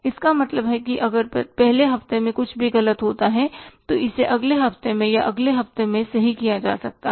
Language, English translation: Hindi, So, it means if there anything goes wrong in the wrong in the first week it, it can be corrected in the next week, in the next week or in the next week